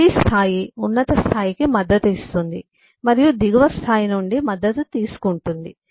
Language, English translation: Telugu, every level supports the higher level and is supported by the lower level